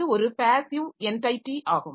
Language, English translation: Tamil, So, that is a passive entity